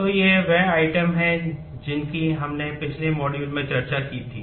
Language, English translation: Hindi, So, these are the items that we had discussed in the last module